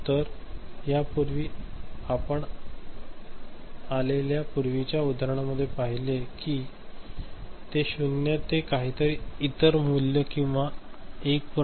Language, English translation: Marathi, So, earlier we had seen you know all the inputs in earlier examples from you know zero to some other value or 1